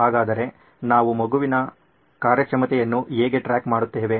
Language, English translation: Kannada, So how do we track the performance of the child